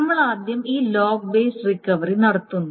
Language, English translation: Malayalam, So we do this log based recovery first